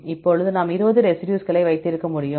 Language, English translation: Tamil, Now, we can have the 20 residues